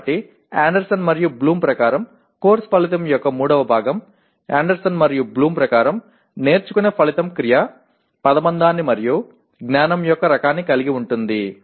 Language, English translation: Telugu, So the third part of the course outcome as per Anderson and Bloom, learning outcome as per Anderson and Bloom will have a verb phrase and the type of knowledge